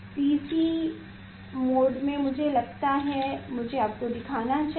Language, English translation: Hindi, in PC mode I think in PC mode I will show you